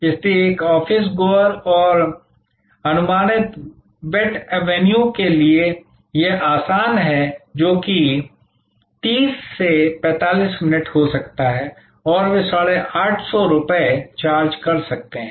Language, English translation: Hindi, So, it is easier to for an office goer and estimated weight avenue a write that may be 30 to 45 minutes and they may be charging 850 rupees